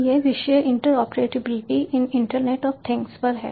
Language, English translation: Hindi, this topic is on interoperability in internet of things